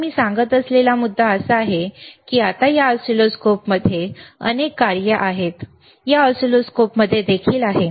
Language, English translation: Marathi, So, the point that I was making is, now this oscilloscope has several functions, with this oscilloscope also has it